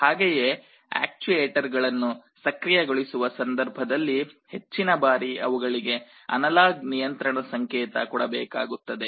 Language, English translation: Kannada, Similarly when you are activating the actuators, you often need to provide an analog control signal for those